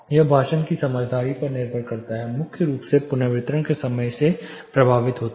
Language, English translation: Hindi, It depends on the speech intelligibility primarily affected by reverberation time